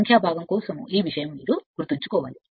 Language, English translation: Telugu, This thing for numerical part you have to keep it in your mind